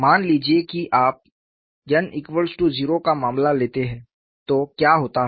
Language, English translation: Hindi, Suppose, you take the case for n equal to 0, what happens